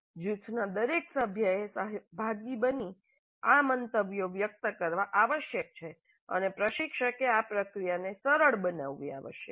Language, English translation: Gujarati, Every participant, every member of the group must articulate these views and instructor must facilitate this process